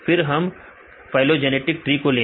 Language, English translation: Hindi, So, then we did the phylogenetic trees